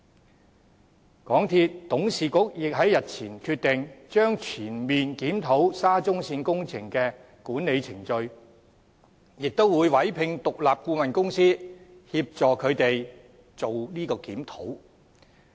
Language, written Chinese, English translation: Cantonese, 此外，港鐵公司董事局亦在日前決定，將全面檢討沙中線工程的管理程序，並會委聘獨立顧問公司協助進行有關檢討。, Furthermore the Board of Directors of MTRCL decided a few days ago to conduct a comprehensive review of the management procedures of the SCL project and an independent consultancy would be commissioned to assist in the review